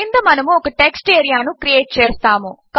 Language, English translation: Telugu, Underneath this we will create a text area